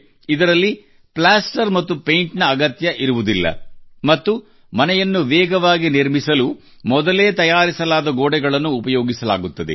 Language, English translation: Kannada, In this plaster and paint will not be required and walls prepared in advance will be used to build houses faster